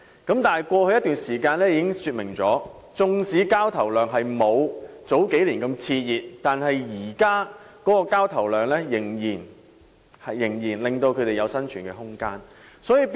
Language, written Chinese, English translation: Cantonese, 可是，過去一段時間已經說明，縱使交投量不及數年前熾熱，但現時的交投量仍足以為他們提供生存空間。, And yet it has been proven in the past period of time although the transaction volume is not as large as that a few years ago it is still adequate to provide the necessary room of survival for estate agents